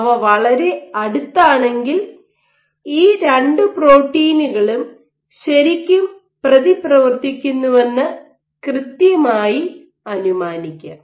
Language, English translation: Malayalam, If they are so close then you can safely make an assumption that these 2 proteins are really interacting